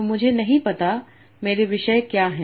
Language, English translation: Hindi, But you do not know what are your topics